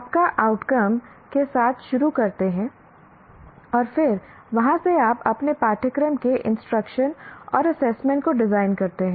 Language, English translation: Hindi, You start with the outcomes and then from there you design your curriculum, instruction and assessment